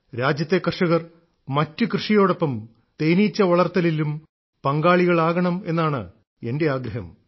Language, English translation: Malayalam, I wish more and more farmers of our country to join bee farming along with their farming